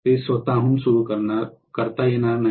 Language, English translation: Marathi, It will not be able to start on its own